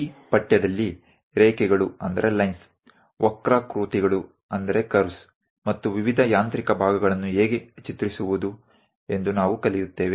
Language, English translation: Kannada, In this subject we are going to learn about how to draw lines, curves, various mechanical parts